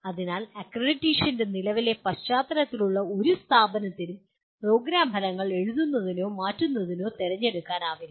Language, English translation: Malayalam, So no institution as of in the current context of accreditation has choice of writing or changing the program outcomes